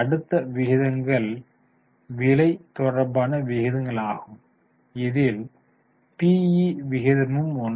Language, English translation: Tamil, The next ratios are price related ratios, PE ratio